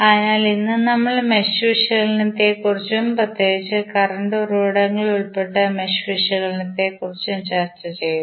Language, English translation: Malayalam, So, today we discussed about the mesh analysis and particularly the case where current sources available in the mesh analysis